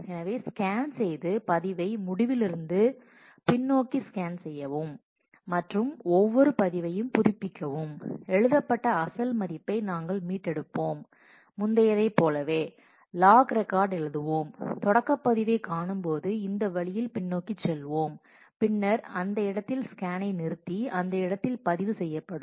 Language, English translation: Tamil, So, scan will scan the log backwards from the end and for each log record update log record, we will restore the original value for which was written over and we will write a compensation log record as before and going backwards in this way when we come across the start log record, then we will stop that scan and write a abort log record in that place